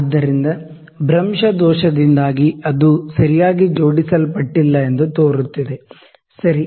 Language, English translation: Kannada, So, because of the parallax error it was it looked like that it was not aligned properly, ok